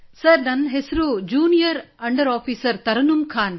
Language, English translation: Kannada, Sir, this is Junior under Officer Tarannum Khan